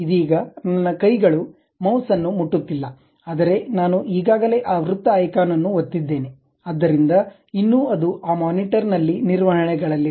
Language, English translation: Kannada, Right now my hands are not touching mouse, but I have already clicked that circle icon, so still it is maintaining on that monitor